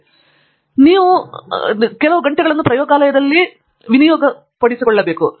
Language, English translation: Kannada, So, you have to put in those hours in the lab